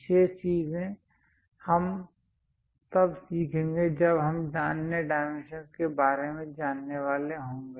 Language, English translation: Hindi, Remaining things we will learn when we are going to learn about other dimensioning